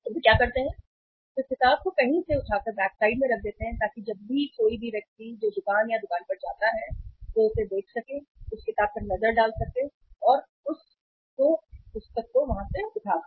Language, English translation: Hindi, So what they do is they pick up the book from somewhere put in the backside put it on the front so that any person who visit the store or the shop they can see they can have a look upon that book and they can just pick up the book